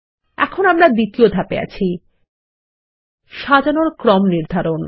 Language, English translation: Bengali, Now we are in Step 2 Sorting Order